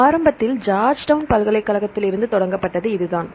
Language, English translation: Tamil, This is the one which initially started from the Georgetown University right